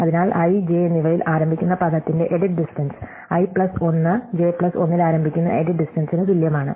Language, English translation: Malayalam, So, the edit distance of word starting at i and j is the same as the edit distance starting at i plus 1 j plus 1